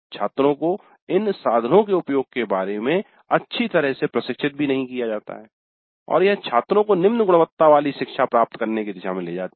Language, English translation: Hindi, Students are not trained well in the use of these tools and this leads to low quality learning by the students